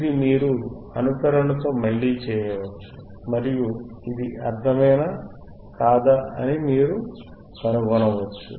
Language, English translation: Telugu, This you can do again with simulation, and you can find it whetherif it makes sense or not, right